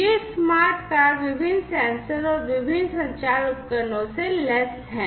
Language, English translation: Hindi, These smart cars are equipped with different sensors and different communication devices